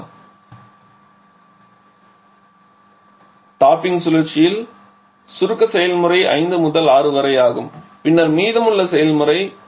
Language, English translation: Tamil, And now this 5 to 6 is the compression process in the topping cycle and then we have the rest of the process